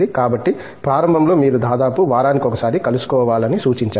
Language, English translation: Telugu, So, initially it is suggested that you meet almost on a weekly basis okay